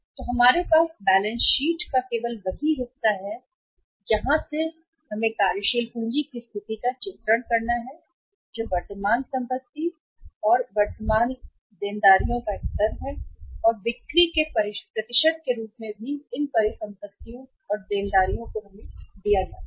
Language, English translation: Hindi, So we have only that part of the balance sheet here which is only depicting the working capital position that is the level of current assets and current liabilities and as percentage to the sales also these assets and liabilities are given to us